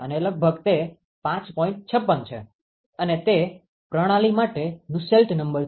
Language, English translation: Gujarati, 56, that is the Nusselt number for that system